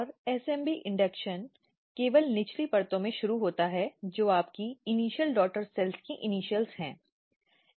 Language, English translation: Hindi, And SMB induction starts only in the lower layer which is your initial daughter cells of the initials